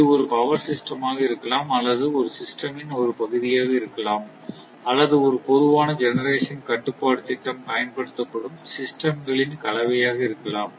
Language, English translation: Tamil, So, it may be a power system or maybe a part of a system or maybe a combination of system to which a common generation control scheme is applied